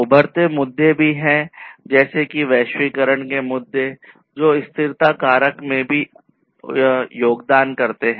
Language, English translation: Hindi, Emerging issues are also there like the globalization issues which also contribute to the sustainability factor